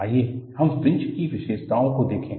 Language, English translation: Hindi, Let us, look at the features of the fringe